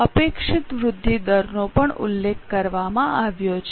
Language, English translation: Gujarati, Expected growth rates are also mentioned